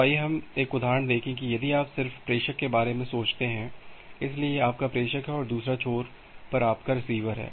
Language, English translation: Hindi, So, let us look into one example that if you just think about sender; so, this is your sender and the other end you have the receiver